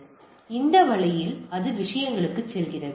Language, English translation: Tamil, So this way it goes in to the things